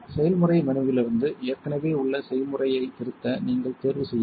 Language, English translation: Tamil, From the process menu you should choose to edit an existing recipe